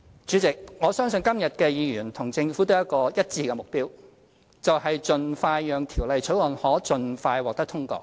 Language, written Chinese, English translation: Cantonese, 主席，我相信今天議員和政府都有一致的目標，就是讓《條例草案》盡快獲得通過。, President I believe Members and the Government have a common objective namely the expeditious passage of the Bill